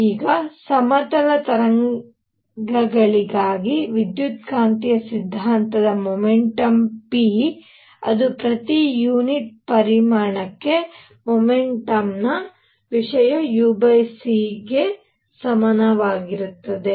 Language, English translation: Kannada, Now for plane waves, if you recall from electromagnetic theory momentum p which is momentum content per unit volume is same as u over c